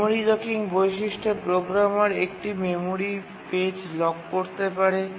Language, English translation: Bengali, In the memory locking feature the programmer can lock a memory page